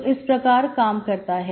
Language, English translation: Hindi, So that is how it is